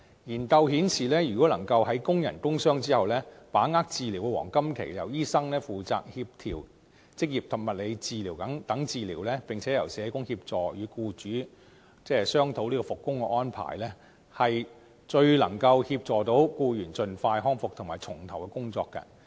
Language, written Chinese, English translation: Cantonese, 研究顯示，工人因工受傷後如果能夠把握治療黃金期，由醫生負責協調職業及物理治療，並且由社工協助與僱主商討復工安排，最能協助僱員盡快康復及重投工作。, Studies have shown that workers suffering from work injuries can recover and resume work most expeditiously if they can seize the golden period for treatment through occupational therapy and physiotherapy coordinated by doctors and discuss work resumption arrangement with employers through the assistance of social workers